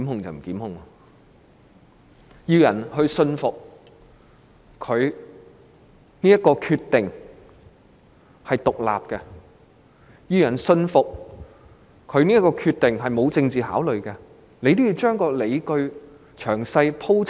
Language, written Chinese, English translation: Cantonese, 如果她要令人信服這是一個獨立決定，並信服這個決定沒有政治考慮，她應將理據詳細鋪陳。, If she wanted to convince the public that this decision was made independently without political considerations she should elaborate the rationale in detail